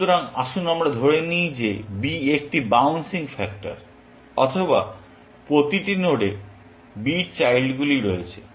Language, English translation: Bengali, So, Let us assume that b is a bouncing factor, or every node has b children